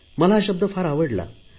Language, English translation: Marathi, I like this term